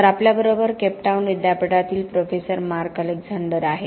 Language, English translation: Marathi, So we have Professor Mark Alexander from the University of Cape Town